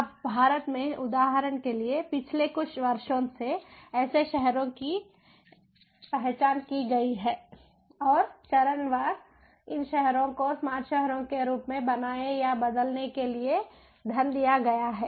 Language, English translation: Hindi, now for, for instance, in india, since the last few years, there have been a couple of cities that have been identified and, phase wise, these cities have been given funds to build or to transform them as smart cities